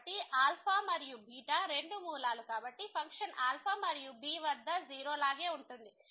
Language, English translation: Telugu, So, alpha and beta both are roots so, the function will be 0 at alpha and as well as at beta